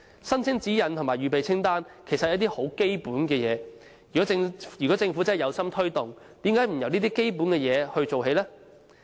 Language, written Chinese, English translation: Cantonese, 申請指引及預備清單其實都是很基本的工作，如果政府真的有心推動，為何不由這些基本工作做起呢？, Providing guidelines and preparing checklists are actually the basic tasks . If the Government sincerely hopes to promote bazaars why not start by undertaking these basic tasks?